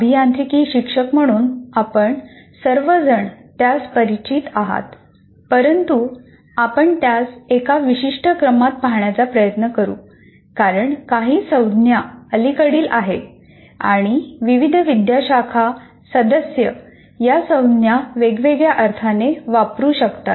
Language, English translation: Marathi, As engineering teachers, all of you are familiar with this, but we will try to spend some time in looking at this in one particular sequence because much some of the terminology, if not all the terminology, is somewhat recent and to that extent different faculty members may use these terms to mean different things